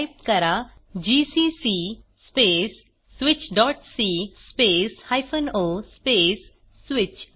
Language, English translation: Marathi, Type:gcc space switch.c space o space switch